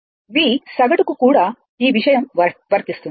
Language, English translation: Telugu, Similarly, you will get V average